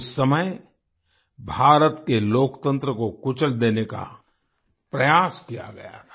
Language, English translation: Hindi, At that time an attempt was made to crush the democracy of India